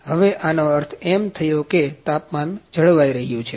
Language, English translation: Gujarati, Now this means the temperature is now maintained